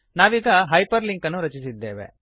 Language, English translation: Kannada, We have created a hyperlink